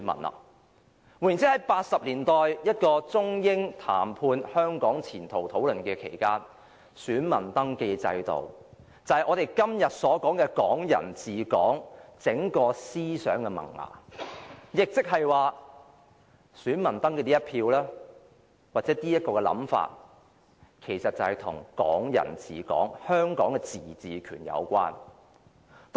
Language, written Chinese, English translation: Cantonese, 換言之，在1980年代，中英談判討論香港前途期間，選民登記制度就是我們所說的"港人治港"整個思想的萌芽，亦即是說，登記成選民其實與"港人治港"的香港自治權有關。, In other words the budding of the whole concept of Hong Kong people ruling Hong Kong actually owed itself to the reform of the voter registration system undertaken in the 1980s at the time of the Sino - British negotiations on the future of Hong Kong . This means that voter registration is actually related to the concept of Hong Kong autonomy implicit in Hong Kong people ruling Hong Kong